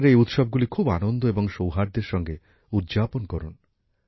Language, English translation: Bengali, Celebrate these festivals with great gaiety and harmony